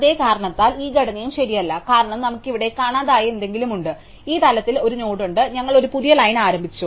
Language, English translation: Malayalam, For the same reason, this structure is also not correct, because we have here something which is missing, a node at this level and we started a new line